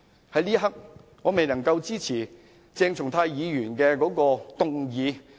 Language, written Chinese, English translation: Cantonese, 在這一刻，我未能夠支持鄭松泰議員提出的議案。, I cannot fully support Dr CHENG Chung - tais motion at this moment